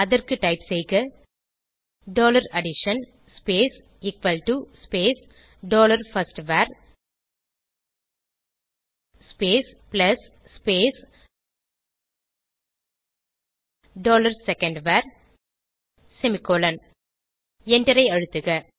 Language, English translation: Tamil, For this type dollar addition space equal to space dollar firstVar plus space dollar secondVar semicolonand Press Enter